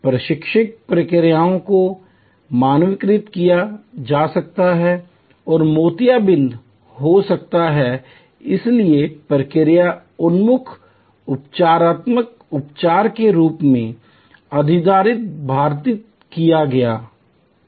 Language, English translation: Hindi, Training procedures could be standardized and cataracts therefore, were surmised as a procedure oriented curative treatment